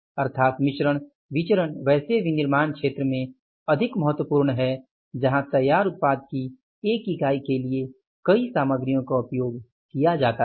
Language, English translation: Hindi, So, it means this mix variance is more important in the manufacturing sector where the multiple materials are used to the one unit of the finished product